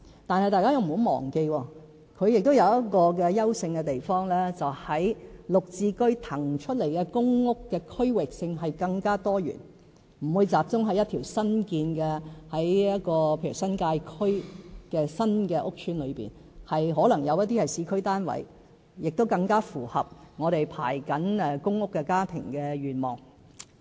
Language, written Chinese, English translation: Cantonese, 但是，大家不要忘記，它亦有一個優勝的地方，便是在"綠置居"騰出來的公屋的區域性更多元，例如不會集中在一條新建的新界區屋邨裏面，可能有一些是市區單位，亦更符合我們正在輪候公屋的家庭的願望。, We however must not forget that this scheme is marked by one merit the PRH units thus vacated will be very diversified in locations . For example the vacated units will not be restricted to one newly built housing estate in the New Territories and some may even be located in the urban areas which are more desirable to the households waiting for PRH units